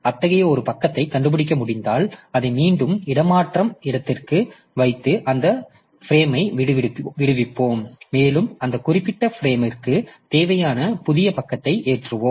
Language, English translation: Tamil, So, if we can find such a page then we will put it back onto the swap space and free that frame and we can load that, load the new page that is required into that particular frame